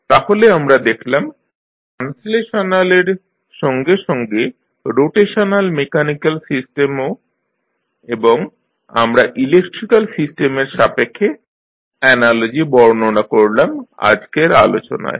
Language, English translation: Bengali, So, we have seen the translational as well as rotational mechanical system and we described the analogies with respect to the electrical system in today’s discussion